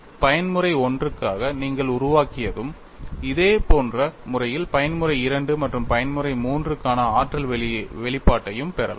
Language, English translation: Tamil, Once you have developed for mode 1 on a similar fashion, you could also get the energy expression for mode 2 as well as mode 3